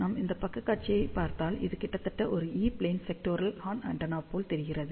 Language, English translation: Tamil, So, if we just look at the side view from here, this almost looks like a E plane sectoral horn antenna